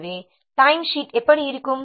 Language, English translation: Tamil, So, this is how a time sheet looks like